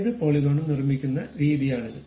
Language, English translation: Malayalam, This is the way we construct any polygon